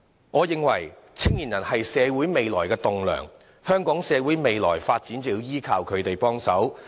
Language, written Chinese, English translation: Cantonese, 我認為，青年人是社會未來棟樑，未來香港社會的發展便要依賴他們。, In my view young people are the future pillars of society; we have to count on them for the future development of our society